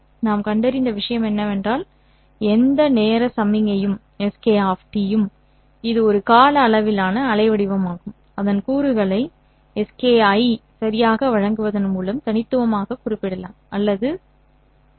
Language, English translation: Tamil, What we have found is that any signal SK of T, which is a time duration waveform, can be uniquely represented or specified by giving its components Ski